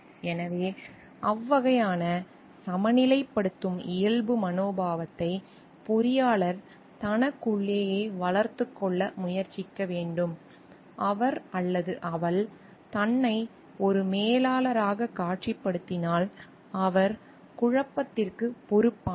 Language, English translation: Tamil, So, that type of balancing nature attitude the engineer must try to develop within himself or herself, if he or she is visualizing himself or herself as a manager, who is responsible for conflict resolution